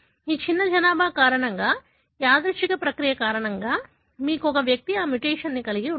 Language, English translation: Telugu, Because of this small population you have one individual had this mutation, because of a random process